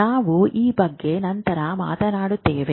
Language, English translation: Kannada, We will talk about it